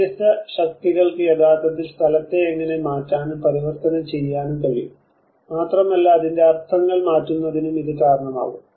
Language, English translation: Malayalam, How different forces can actually alter and transform the space and it can also tend to shift its meanings